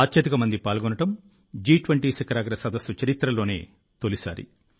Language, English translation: Telugu, This will be the biggest participation ever in the history of the G20 Summit